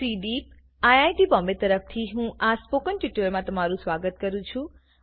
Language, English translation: Gujarati, On behalf of CDEEP, IIT Bombay, I welcome you to this Spoken Tutorial